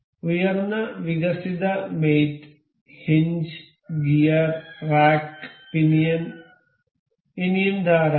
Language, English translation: Malayalam, And higher advanced mates, hinge, gear, rack pinion, there are many more